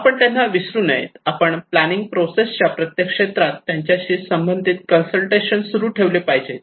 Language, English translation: Marathi, No, you should not forget them you should actually continue consultations with them involving them in every sphere of the planning process